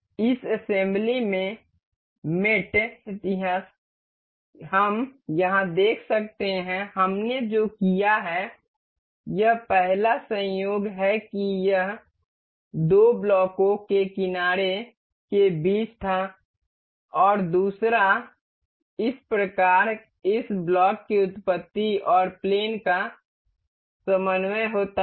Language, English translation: Hindi, The mate history in this assembly we can see here mates, what we have done is this the first coincidental mate that was between the edge of the two blocks and the second one thus mating of the origin of this block and the plane coordinate